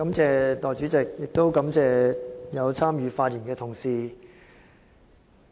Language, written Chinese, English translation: Cantonese, 代理主席，我感謝參與發言的同事。, Deputy President I would like to thank all Honourable colleagues for their speeches